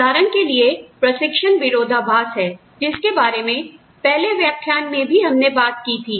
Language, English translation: Hindi, For example, there is a training paradox, that we talked about, in one of the earlier lectures